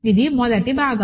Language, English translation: Telugu, So, this is the first part